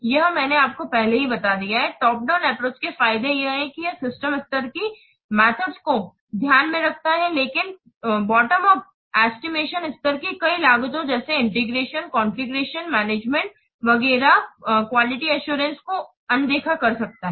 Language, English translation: Hindi, This I have already told you earlier, the advantages of top down approach that it takes into account the system level activities but bottom of estimation may overlook many of the system level costs as integration, conclusion management, etc